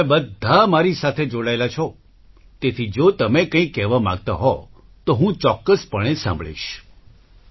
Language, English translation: Gujarati, All of you are connected with me, so if you want to say something, I will definitely listen